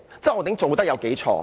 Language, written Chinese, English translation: Cantonese, 周浩鼎議員有多錯？, How wrong is Mr Holden CHOW?